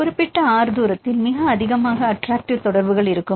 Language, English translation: Tamil, So, in the particular distance R; this is the distance R where we have the highest attractive interactions